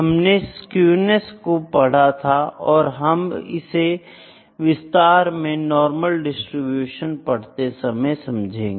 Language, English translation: Hindi, So, I have discussed about Skewness, I will take up this Skewness in detail when we will discuss in normal distribution